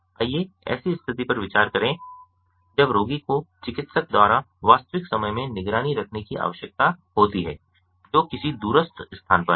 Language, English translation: Hindi, let us consider a situation when the patient needs to be monitored in real time by doctor who is at some remote place